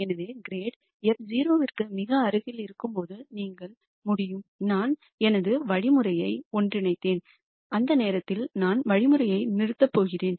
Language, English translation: Tamil, So, when grad f becomes very close to 0 then you could say I have converged my algorithm and I am going to stop the algorithm at that point